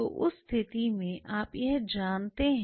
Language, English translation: Hindi, So, in that situation you know that